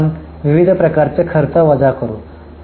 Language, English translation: Marathi, Then we will deduct various types of expenses